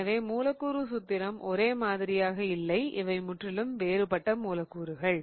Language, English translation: Tamil, So, the molecular formula is not same, so it's different molecules altogether